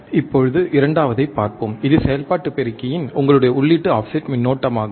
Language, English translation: Tamil, Now, let us see the second, one which is your input offset current for an operational amplifier